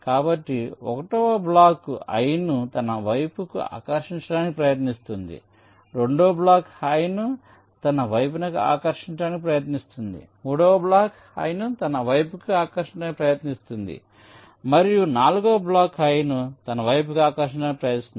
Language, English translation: Telugu, so one is trying to attract i toward itself, two is trying to attract i towards itself, three is trying to attract i toward itself and four is trying to attract i towards itself